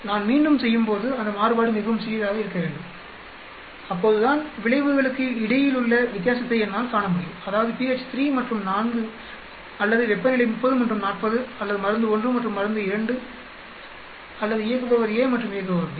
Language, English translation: Tamil, When I do a repeatability, those variation should be much smaller then only I will be able to see a difference between effect that means pH 3 and 4 or temperature 30 and 40 or drug 1 and drug 2 or operator a and operator b